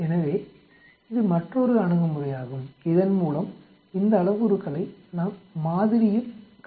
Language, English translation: Tamil, So that is another approach by which we can calculate these parameters in the model